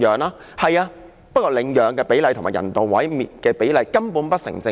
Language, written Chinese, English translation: Cantonese, 不過，各位，領養的比例與人道毀滅的比例，根本不成正比。, But fellow Members the adopted animals are disproportionate to the euthanized animals